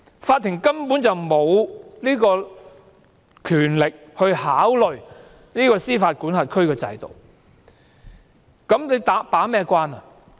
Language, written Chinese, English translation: Cantonese, 法庭根本沒有權力考慮司法管轄區的制度，又如何能夠把關呢？, How can the court be a gatekeeper when it does not have the power to consider the system of the requesting jurisdiction?